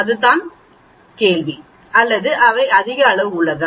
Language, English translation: Tamil, That is the question or they are of greater size